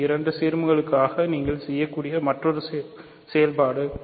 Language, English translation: Tamil, So, this is another operation that you can perform for two ideals